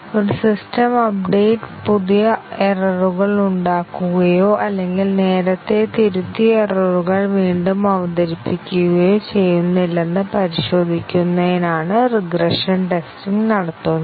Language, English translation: Malayalam, The regression testing is done to check that a system update does not cause new errors or reintroduce, errors that have been corrected earlier